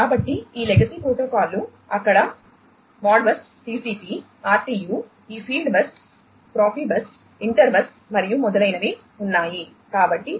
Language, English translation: Telugu, So, these legacy protocols have been there modbus TCP, RTU, these fieldbus, profibus, inter bus and so on